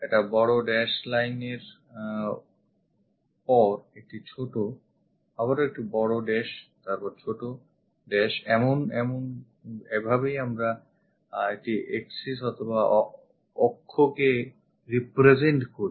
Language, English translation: Bengali, A big dash line followed by a small dash again big dash small dash this is the way we represent an axis